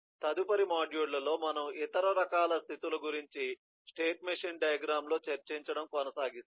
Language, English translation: Telugu, in the next module we will continue discussing about other kinds of states in a state machine diagram